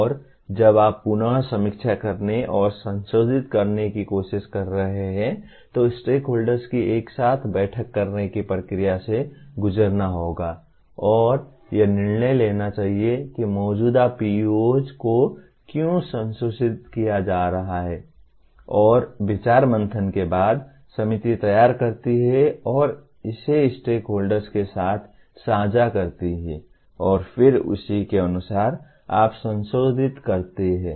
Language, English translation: Hindi, And when you are trying to review and modify again one has to go through the process of stakeholders meeting together and deciding why should the existing PEOs be modified and after brainstorming the committee prepares and shares it with the stakeholders and then correspondingly you modify